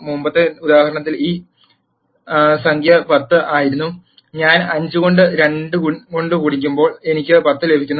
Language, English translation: Malayalam, And since in the previous example this number was 10, when I multiplied 5 by 2 I get 10